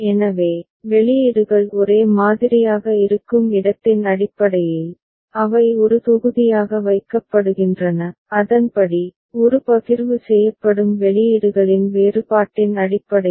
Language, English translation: Tamil, So, based on that where the outputs are identical, they are put into one block and accordingly, based on the difference in the outputs a partition is made